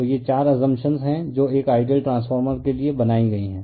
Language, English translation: Hindi, So, these are the 4 assumptions you have made for an ideal transformer